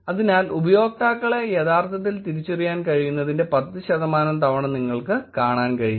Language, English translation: Malayalam, So, you can see that 10 percent of the times the users can be actually identified